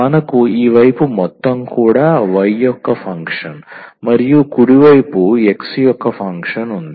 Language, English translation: Telugu, So, we have this side everything the function of y and the right hand side we have the function of x